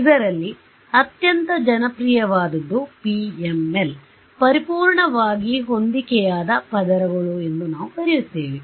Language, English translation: Kannada, So, the most popular of this is what is called PML: Perfectly Matched Layers which we will cover